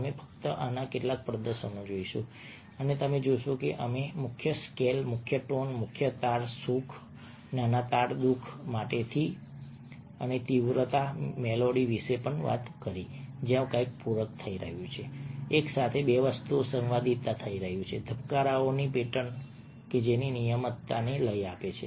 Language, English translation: Gujarati, we will just look at a couple of demonstrations of this and you see that we talked about majors scale, major tones, major chords, happiness, minor chords, sadness, loudness and intensity, melody, where something is being complemented, harmonies, simultaneously, two things happen happening: rhythm, the regularity of pattern of beats